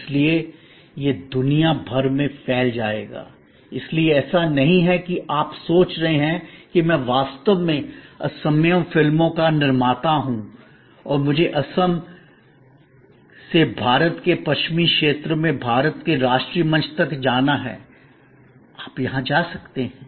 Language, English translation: Hindi, So, it will spread around the globe, so it is not that you are thinking of that I am actually a producer of Assamese films and I have to go from Assam to Western region of India to the national platform of India, you can go to the world stage right from day 1